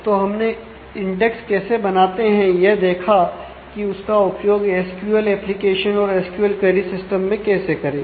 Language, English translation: Hindi, So, we have seen how to create index how to use that in terms of the SQL application SQL query system